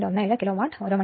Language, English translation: Malayalam, 17 Kilowatt hour right